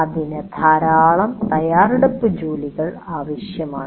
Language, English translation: Malayalam, And that is where it requires a lot of preparatory work